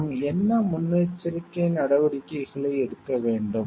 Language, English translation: Tamil, What precautions should we take